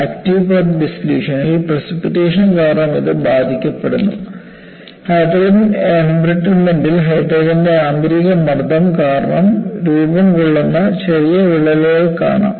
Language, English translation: Malayalam, It is getting affected due to precipitation, in active path dissolution; in hydrogen embrittlement, you find tiny cracks that form due to internal pressure of hydrogen